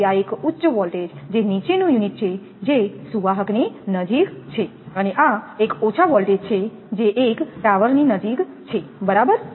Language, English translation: Gujarati, So, this is on a higher state, you lower unit which is close to the conductor, and this has a lower voltage which is close to a tower right